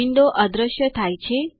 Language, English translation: Gujarati, The window disappears